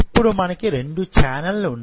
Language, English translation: Telugu, So, we are having 2 channels now right